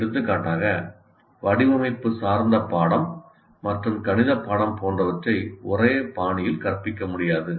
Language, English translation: Tamil, For example, a design oriented course and a mathematics course cannot be taught in similar styles